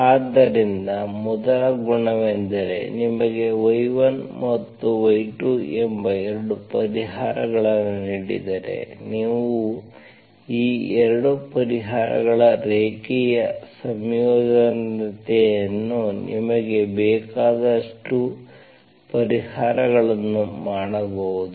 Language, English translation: Kannada, So first property is that if you are given 2 solutions, y1 and y2, you can make many solutions, as many solutions as you want as a linear combination of these 2 solutions